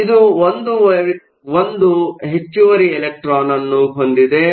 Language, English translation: Kannada, So, it has 1 extra electron